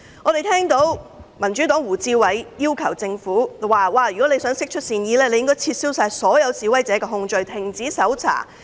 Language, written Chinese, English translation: Cantonese, 我們聽到民主黨的胡志偉議員說，政府如要釋出善意，便應撤銷所有示威者的控罪及停止搜查。, We heard Mr WU Chi - wai of the Democratic Party say that if the Government wants to show goodwill it should withdraw charges against protesters and stop searching